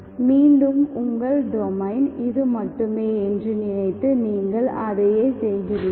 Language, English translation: Tamil, Again you do the same thing, thinking that your domain is only this